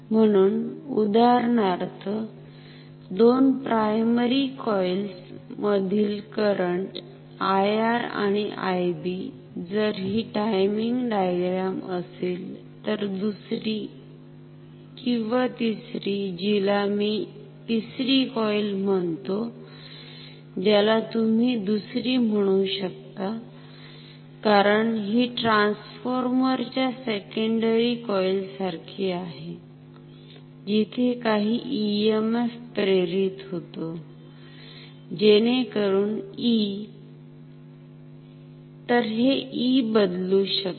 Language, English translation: Marathi, So, let me; so if this is the timing diagram for the two currents I R and I B in the two primary coils, then the secondary or the third which I am calling the 3rd coil which you can call the secondary because it is like a second in a transform secondary coil of a transformer where some EMF is induced, so that E; so this E can change